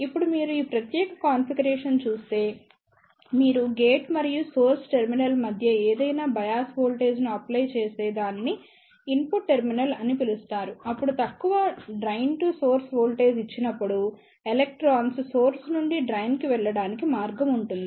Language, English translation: Telugu, Now, if you see in this particular configuration, if you do not apply any bias voltage between the gate and the source terminal which is known as the input terminal, then there will be a path for electrons to flow from source to drain when you apply even a very small drain to source voltage